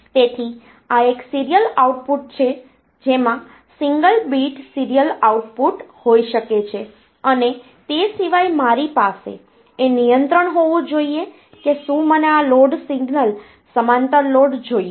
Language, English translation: Gujarati, So, this is a serial output can have single bit serial output and apart from that I should have control like whether I want a parallel load, so this load signal